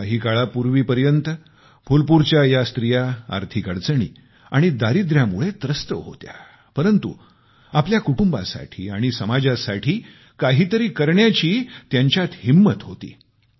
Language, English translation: Marathi, Till some time ago, these women of Phulpur were hampered by financial constraints and poverty, but, they had the resolve to do something for their families and society